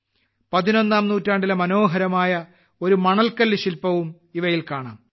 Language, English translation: Malayalam, You will also get to see a beautiful sandstone sculpture of the 11th century among these